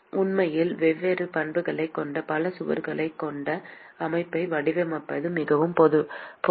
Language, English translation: Tamil, It is very, very often very common to design system with multiple wall which actually have different properties